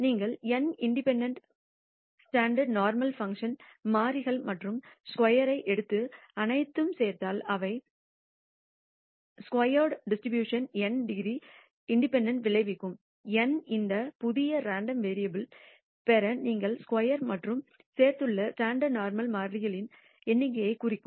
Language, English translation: Tamil, If you take n independent standard normal variables and square and add all of them that will result in a chi square distribution with n degrees of freedom, n representing the number of standard normal variables which you have squared and added to get this new random variable